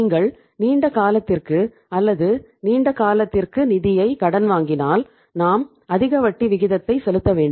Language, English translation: Tamil, If you are borrowing the funds for the long term or for the longer duration we have to pay the higher rate of interest